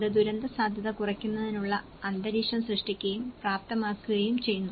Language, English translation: Malayalam, It is a creating and enabling environment for reducing disasters risk